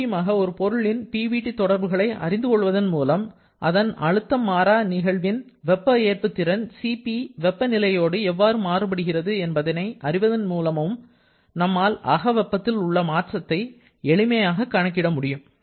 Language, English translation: Tamil, So, again by knowing the PVT relationship of a substance and from knowledge of how specific heat at constant pressure that is Cp varies with temperature, you can easily calculate the changes in enthalpy